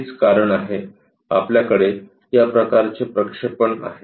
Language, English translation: Marathi, That is the reason, we have this kind of projection